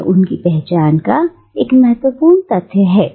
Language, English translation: Hindi, And this is a very crucial part of her identity